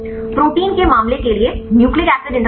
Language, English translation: Hindi, For the case of the protein nucleic acid interactions